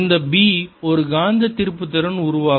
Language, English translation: Tamil, this b will give rise to a magnetic moment